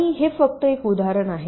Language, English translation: Marathi, now this is another example